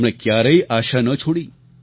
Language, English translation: Gujarati, He never gave up hope